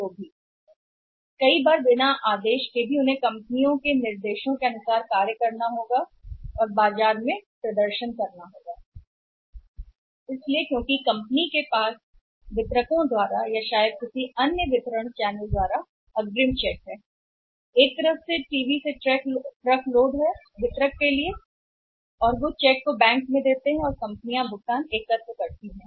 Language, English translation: Hindi, Sometime even without order also they will have to work as per the companies instructions and they will have to perform in the market, So, and since the company has advanced tax from the distributors or maybe any other channel of distribution from the one side truck load of TV to the distributor and they present the cheque and the distributor to the bank, so companies payment is collected